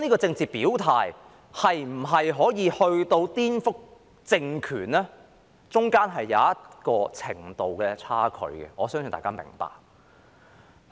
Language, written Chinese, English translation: Cantonese, 政治表態可否發展至顛覆政權，當中有一個程度上的差距，我相信大家明白。, Can expression of political stance be developed into subversion? . There is a certain degree of difference between the two . I believe we all understand it